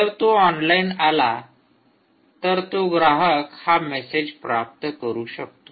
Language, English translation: Marathi, now, if he comes online, the consumer should get this message right